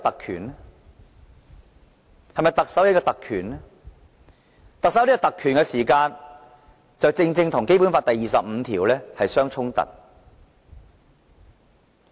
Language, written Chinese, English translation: Cantonese, 如果特首有這種特權，便正正與《基本法》第二十五條有所抵觸。, If the Chief Executive has such a privilege this is undoubtedly in conflict with Article 25 of the Basic Law